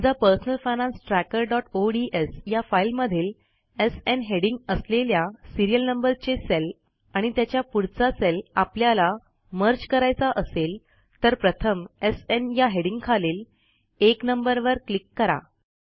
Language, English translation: Marathi, In our personal finance tracker.ods file , if we want to merge cells containing the Serial Number with the heading SN and their corresponding items, then first click on the data entry 1 under the heading SN